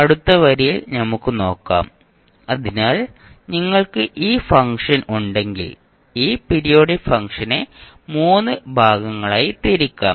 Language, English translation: Malayalam, Let’ us see in the next line, so if you have this particular function you can divide this the periodic function into three parts